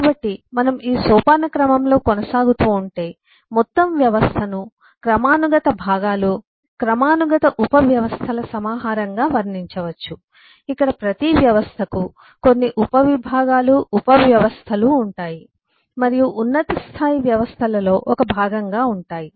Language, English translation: Telugu, so if we, if we just eh keep on, eh going on this eh hierarchy, you will find that the whole system can be described as a collection of hierarchical components, hierarchical subsystems, where every ss system has certain subcomponents, subsystems in that, and is a part of the higher level of systems